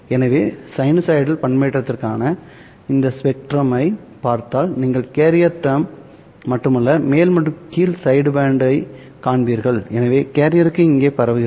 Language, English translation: Tamil, So if you look at the spectrum of this for sinusoidal modulation you will find not only the carrier term but you will also find the upper and lower sideband